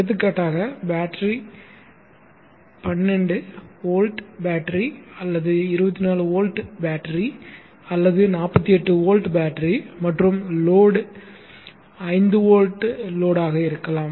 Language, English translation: Tamil, For example the battery may be a 12 volt battery, a 24 old battery or a 48 volt battery and the load may be a 5 volt load